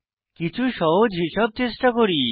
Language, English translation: Bengali, Let us try some simple calculations